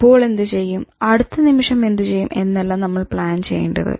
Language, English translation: Malayalam, You should not plan for what you will do now moment by moment